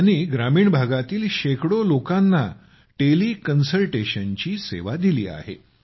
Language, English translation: Marathi, He has provided teleconsultation to hundreds of people in rural areas